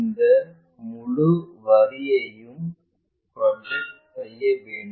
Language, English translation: Tamil, Project this entire line